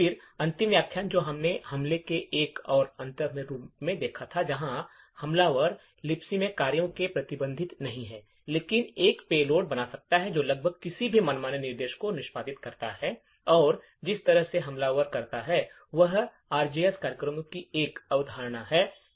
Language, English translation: Hindi, Then the last lecture we had looked at a more advanced form of attack where the attacker is not restricted to functions in the Libc but could create a payload which executes almost any arbitrary instructions and the way the attacker does this is by a concept of ROP programs or Return Oriented Program